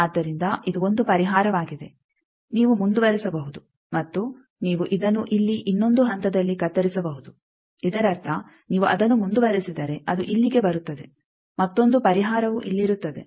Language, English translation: Kannada, So, this is one solution you can continue and you can cut this in another point also here; that means, if you continue it here come, here another solution will be here